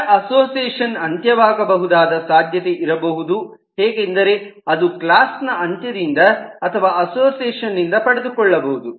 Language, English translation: Kannada, now it is also possible the association end could be owned either by the end class or by the association itself